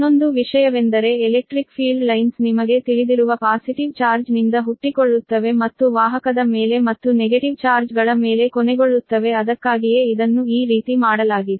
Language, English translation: Kannada, another thing is the electric field lines will originate from the positive charge, right, that is, you know, right on the conductor, and terminate on the negative charges